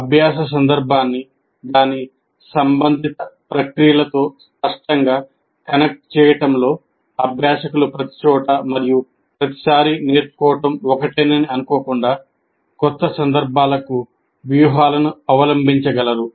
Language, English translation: Telugu, It explicitly, in explicitly connecting a learning context to its relevant processes, learners will be able to adopt strategies to new context rather than assume that learning is the same everywhere and every time